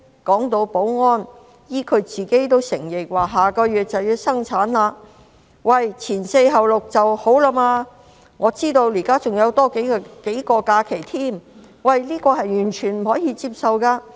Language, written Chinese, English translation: Cantonese, 談到保安，她自己也承認下個月就要生產，'前四後六'是最低限度的，我不知道她現時還多了假期，這是完全不可以接受的。, Talking about security she has also admitted herself that she is expected to give birth next month . She will take maternity leave for at least four weeks before and six weeks after giving birth . I do not know her balance of leave at that moment